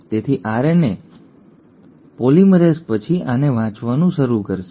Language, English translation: Gujarati, So the RNA polymerase will then start reading this